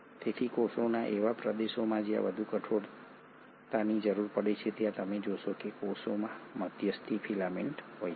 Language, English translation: Gujarati, So in regions of the cell where there has to be much more rigidity required you will find that the cell consists of intermediary filaments